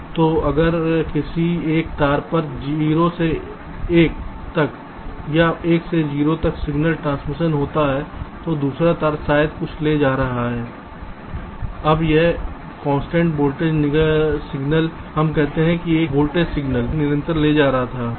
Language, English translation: Hindi, lets say so if on one of the wire there is a signal transition, either from zero to one or from one to zero, so the other wire maybe carrying something, lets say it was carrying a constant voltage signal